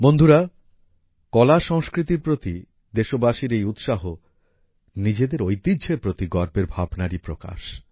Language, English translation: Bengali, Friends, this enthusiasm of the countrymen towards their art and culture is a manifestation of the feeling of 'pride in our heritage'